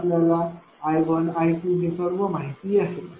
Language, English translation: Marathi, So, I 1, I 2 everything you know